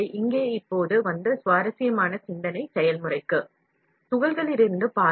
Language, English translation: Tamil, So, here now comes and interesting thought process